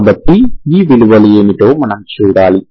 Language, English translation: Telugu, So we have to see what are these values, okay